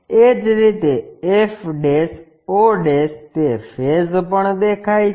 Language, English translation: Gujarati, Similarly, f' o' that face also visible